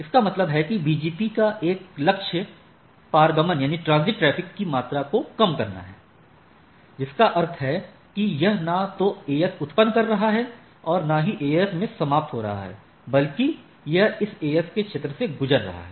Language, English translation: Hindi, That means one goal of the BGP is to minimize the amount of transit traffic that means it is neither originating nor terminating the AS, but it is passing through this AS right